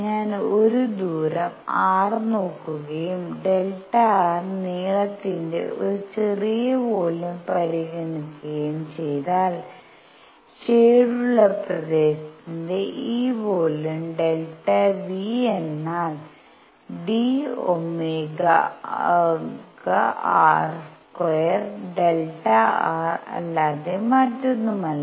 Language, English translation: Malayalam, If I look at a distance r and consider a small volume of length delta r then this volume of the shaded region delta V is nothing but d omega r square delta r